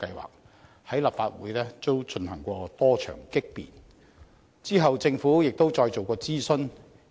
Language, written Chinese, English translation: Cantonese, 強積金計劃在立法會也經過多場激辯，之後政府再進行諮詢。, After several rounds of heated debate in the Legislative Council the Government then conducted another consultation exercise on the MPF System